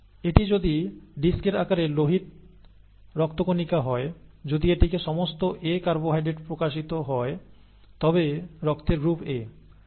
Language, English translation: Bengali, So if this is the red blood cell disc shaped red blood cell, if it has all A carbohydrates being expressed then it is blood group A